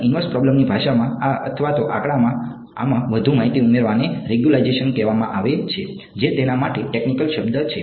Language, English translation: Gujarati, And in the language of inverse problems this or even statistics this adding more information is called regularization that is the technical word for it ok